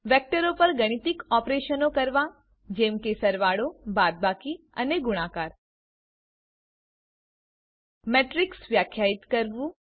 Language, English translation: Gujarati, Perform mathematical operations on Vectors such as addition,subtraction and multiplication